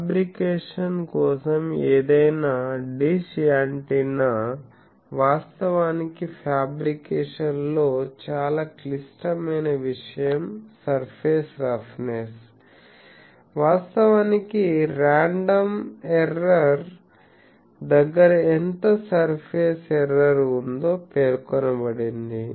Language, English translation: Telugu, So, any dish antenna for fabrication actually the very critical thing in the fabrication is the surface roughness, actually the random error is specified that how much surface error is there